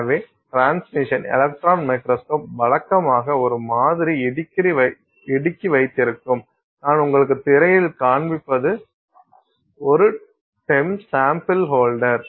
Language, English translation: Tamil, So, the transmission electron microscope usually will have a sample holder and what I'm showing you on screen is a, so this is a TEM sample holder